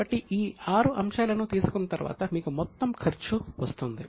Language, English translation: Telugu, So, after taking these six items you get total expense